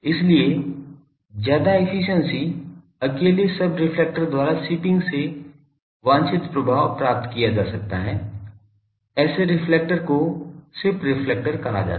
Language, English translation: Hindi, Hence higher efficiency is obtained by the shipping the subreflector alone the desired effect may be obtained such reflectors are known as shipped reflectors